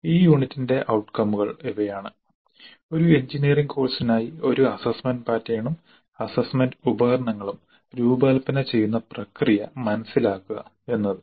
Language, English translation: Malayalam, The outcomes for this unit are understand the process of designing an assessment pattern and assessment instruments for an engineering course